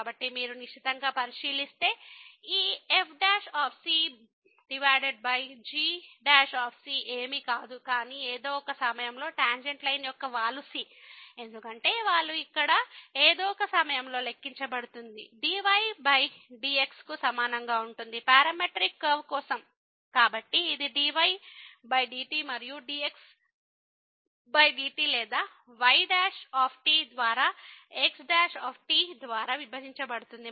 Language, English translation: Telugu, So, if you take a close look this over is nothing, but the slope of the tangent line at some point , because the slope will be calculated as at some point here the over is equal to; for the parametric curve, so, this will be over and divided by over or the divided by the